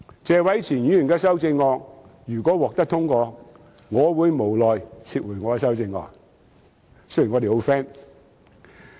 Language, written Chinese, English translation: Cantonese, 謝偉銓議員的修正案如果獲得通過，我會無奈撤回我的修正案——雖然我們十分 friend。, If Mr Tony TSEs amendment is passed I will withdraw my amendments somewhat reluctantly―even though we are good friends